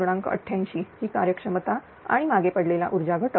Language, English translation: Marathi, 88 is efficiency and a lagging power factor 0